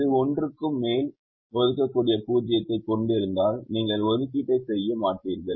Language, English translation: Tamil, if it has more than one assignable zero, you will not make the assignment